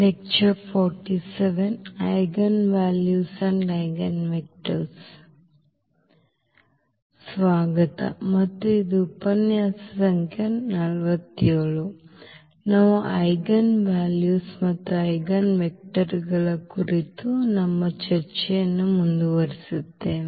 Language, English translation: Kannada, Welcome back and this is a lecture number 47, we will continue our discussion on Eigenvalues and Eigenvectors